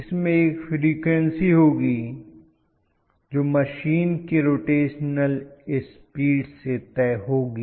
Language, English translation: Hindi, Which is going to have a frequency, which is decided by the rotational speed of machine